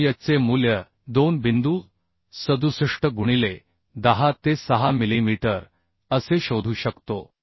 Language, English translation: Marathi, So we can find out the value as 2 point 67 into 10 to 6 t millimetre to the y